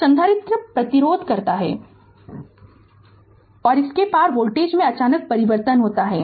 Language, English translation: Hindi, The capacitor resist and abrupt change in voltage across it